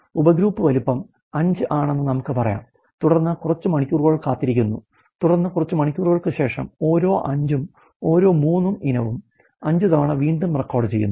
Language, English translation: Malayalam, Let us say the subgroup of sizes 5 and then a weighting for a few you know hours, and then they recording after some more hours the same every 5th every 3rd item 5 times again